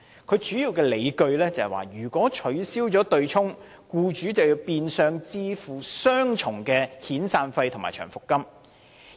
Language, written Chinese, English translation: Cantonese, 他主要的理據是，如果取消對沖機制，僱主變相要支付雙重的遣散費和長期服務金。, His main argument is that abolishing the offsetting mechanism will mean de facto double severance payments and long - service payments borne by employers